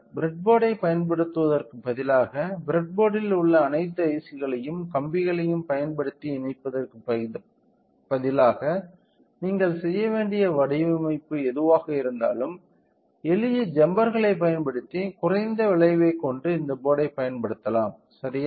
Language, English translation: Tamil, So, instead of using the breadboard and connecting all the ICs on the breadboard and use a wires to do that by using simple jumpers whatever the design that you required to do we can use using this board with a minimal effect ok